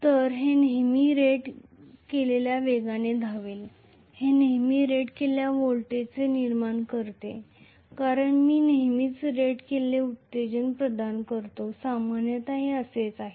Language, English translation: Marathi, So, it will always run at rated speed it will always generate rated voltage because I will always provide rated excitation that is how it is generally